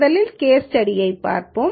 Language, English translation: Tamil, Let us first look at the case study